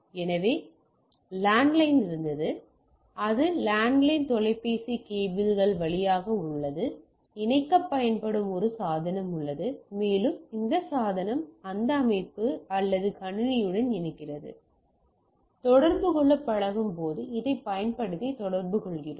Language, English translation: Tamil, So, there was landline still it is there through the landline phone cables, there is a device used to connect and that device connects to this system or the computer, when I used to we used to communicate we communicate this through this